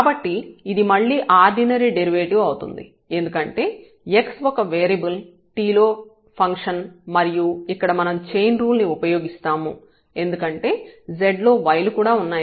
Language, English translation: Telugu, So, it is again an ordinary derivative because x is a function of 1 variable t and then this is a chain rule against of plus this because z is a function of y as well